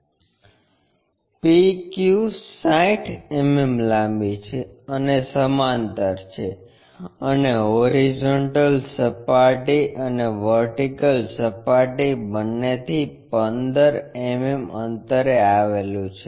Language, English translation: Gujarati, PQ is 60 millimeter long and is parallel to and 15 mm from both horizontal plane and vertical plane